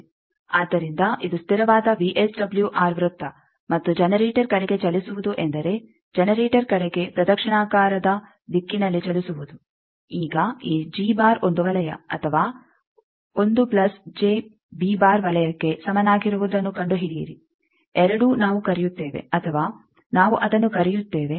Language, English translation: Kannada, So, this is the constant VSWR circle and moving towards generator means this clock wise direction towards generator now find out where this g is equal to one circle or 1 plus J B circle both we call, either we call it